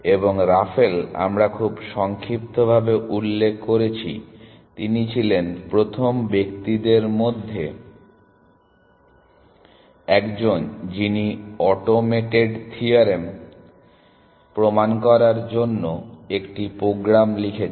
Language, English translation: Bengali, And Raphael, we had mentioned very briefly in passing, he was one of the first people to write a program to do automated theorem proving essentially